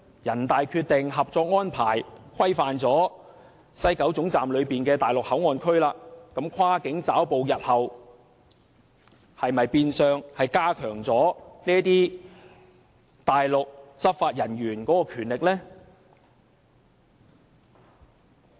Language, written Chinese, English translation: Cantonese, 人大《決定》和《合作安排》規範了西九龍站內地口岸區，那麼，日後是否變相會加強內地執法人員跨境抓捕的權力呢？, Does the designation of MPA at WKS through the NPCSCs Decision and the Co - operation Arrangement in effect strengthen the power of Mainland enforcement officers to make cross - boundary arrests?